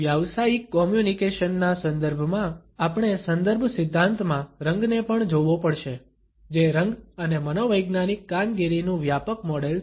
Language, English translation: Gujarati, In the context of professional communication, we also have to look at the color in context theory which is a broad model of color and psychological functioning